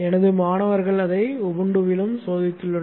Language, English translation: Tamil, My students have checked it out on Ubuntu also